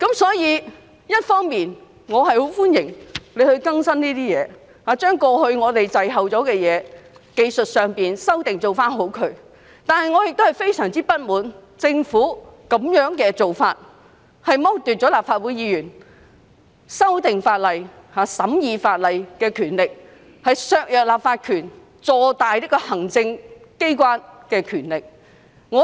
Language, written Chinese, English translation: Cantonese, 雖然我十分歡迎當局修訂《條例》，以期落實過去滯後的技術性修訂，但我亦非常不滿意政府的做法，因為會剝奪立法會議員修訂和審議法例的權力，削弱立法權而讓行政機關的權力坐大。, While I highly welcome the authorities amendments to the Ordinance for the purpose of implementing those technical amendments that have been long overdue I must say I am very discontented about the Governments approach as it will deprive Legislative Council Members of the power to amend and scrutinize laws undermine our legislative power and expand the power of the executive